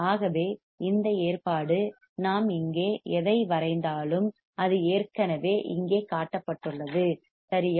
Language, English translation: Tamil, And this arrangement whatever we are drawing here it is already shown in the figure here correct